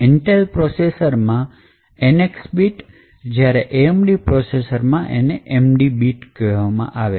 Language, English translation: Gujarati, On Intel processors this is called as the NX bit while in the AMD processors this is known as the ND bit